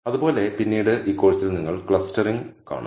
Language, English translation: Malayalam, Similarly, later on in this course you will come across clustering